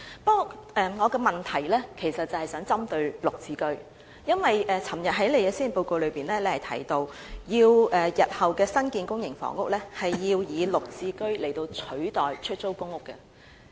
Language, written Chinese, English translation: Cantonese, 不過，我的問題其實是想針對"綠置居"，因為昨天行政長官在施政報告中提到，在日後新建的公營房屋中，部分會以"綠置居"取代出租公屋。, My question is mainly about GSH because in the Policy Address announced by the Chief Executive yesterday it is mentioned that a portion of the newly built public housing units in the future will be converted into GSH units for sale . But I have one worry